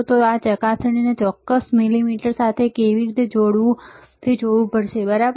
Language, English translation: Gujarati, So, how to connect this probe to this particular multimeter, all right